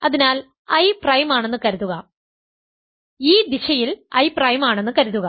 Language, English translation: Malayalam, So, suppose I is prime; so, in this direction suppose I is prime